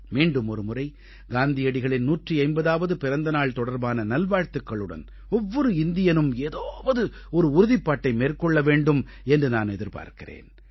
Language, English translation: Tamil, Once again, along with greetings on Gandhiji's 150th birth anniversary, I express my expectations from every Indian, of one resolve or the other